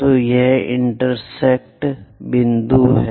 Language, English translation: Hindi, So, this intersection point is here